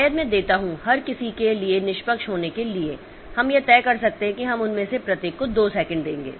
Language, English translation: Hindi, So, maybe I give to be fair to everybody we may decide that we will give two second to each of them